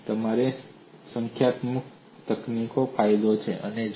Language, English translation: Gujarati, So that is the advantage of your numerical techniques